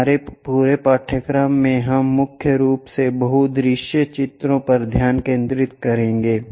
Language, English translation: Hindi, In our entire course, we will mainly focus on this multi view drawings